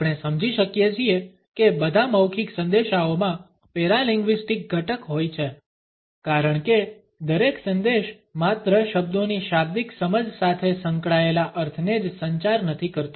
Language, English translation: Gujarati, We can understand that all oral messages have paralinguistic component because every message communicates not only the meaning associated with the literal understanding of the words